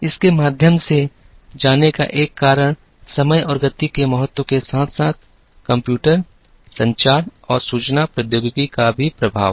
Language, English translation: Hindi, One of the reasons for going through this is to convey the importance of time and speed, as well as the impact of computers, communications and information technology